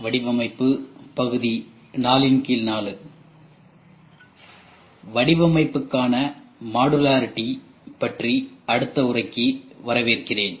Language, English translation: Tamil, Welcome to the next lecture on Design for Modularity